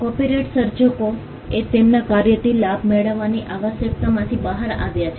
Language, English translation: Gujarati, Copyright came out of the necessity for creators to profit from their work